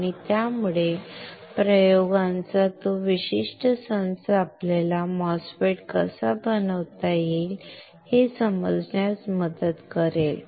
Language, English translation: Marathi, And that will, that particular set of experiments will help us to understand how we can fabricate a MOSFET